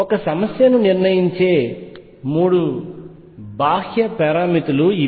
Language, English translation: Telugu, These are the 3 external parameters that determine the problem